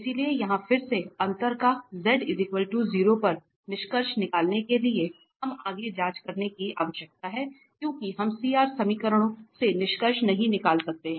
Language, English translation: Hindi, So, here just to conclude again for differentiability at z equal to 0 we need to check because we cannot conclude from the CR equations